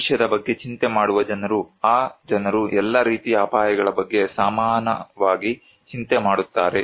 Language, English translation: Kannada, People who worry about the future, do those people worry equally about all kind of risk